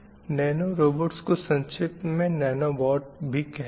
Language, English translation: Hindi, In short, nanorobots are called as nano boats